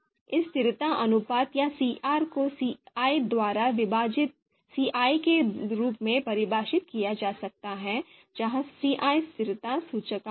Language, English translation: Hindi, So this consistency ratio, CR can be defined as CI divided by RI where CI is the consistency index